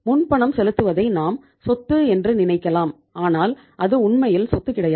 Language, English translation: Tamil, But prepayment we call it as asset but I think itís not a real asset